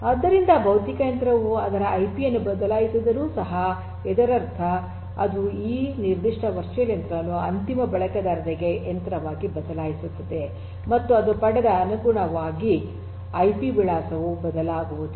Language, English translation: Kannada, So, even if the physical machine to which it connects to changes it is IP; that means it changes it is machine still to the end user this particular virtual machine and the corresponding IP address that it has got is not going to change